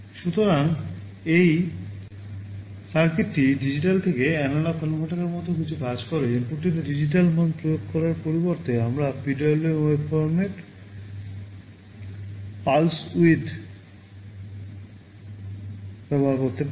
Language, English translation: Bengali, So, this circuit also works something like a digital to analog converter, just instead of applying a digital value in the input we are adjusting the pulse width of the PWM waveform